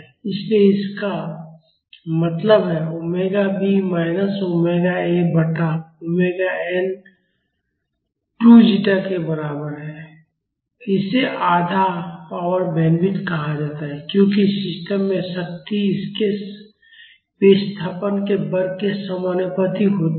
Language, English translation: Hindi, So; that means, omega b minus omega a by omega n is equal to 2 zeta and this is called half power bandwidth because the power in a system is proportional to the square of its displacement